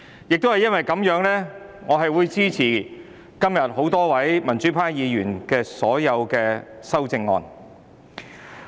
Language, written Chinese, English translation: Cantonese, 正因如此，我支持多位民主派議員提出的所有修正案。, For this reason I support all the amendments proposed by pro - democracy Members